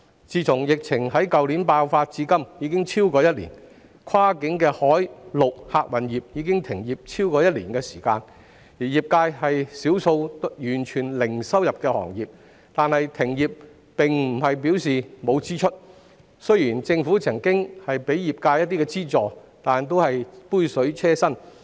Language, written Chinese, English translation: Cantonese, 疫情於去年爆發至今已超過一年，跨境海、陸客運業已停業超過一年，而業界是少數完全零收入的行業，但停業並不代表沒有開支，雖然政府曾向業界提供一些資助，但只是杯水車薪。, As the epidemic has been raging for over one year since the outbreak last year cross - boundary sea and land transport services for passengers have been suspended for over one year . This sector is one of the few sectors that have got no income at all but service suspension does not mean no expenses . Although the Government has provided some subsidy for the sector it is just a drop in the bucket